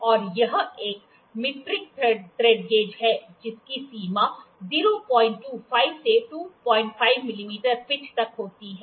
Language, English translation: Hindi, And this is a metric thread gauge which is having range from 0